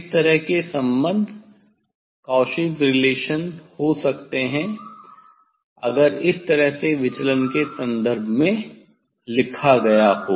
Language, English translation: Hindi, this type of relation Cauchy s relation it can be; it can be if written in terms of deviation also this way